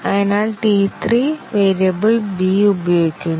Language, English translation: Malayalam, So, T 3 was using the variable b